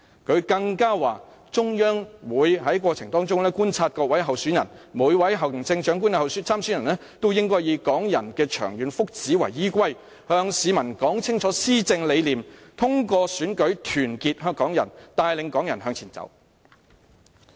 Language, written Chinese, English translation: Cantonese, 他更說"中央也會觀察各位參選人......每位行政長官參選人都應以港人的長遠福祉為依歸，向市民說清施政理念，通過選舉團結港人，帶領港人向前走。, He also said The Central Government will also observe the election candidates every Chief Executive candidate should focus on the long - term well - being of Hong Kong people and make clear whose governance philosophy to the public . Meanwhile he should unite Hong Kong people through election and lead them to move forward